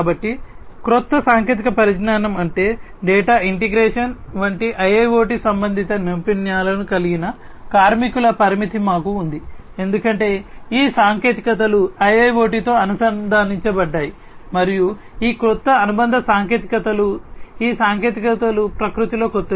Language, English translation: Telugu, So, new technology means we have limitation of workers with IIoT related skills like data integration etcetera because these technologies are associated with IIoT and these new associated technologies these technologies are new in nature